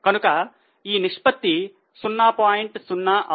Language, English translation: Telugu, So, you are getting 0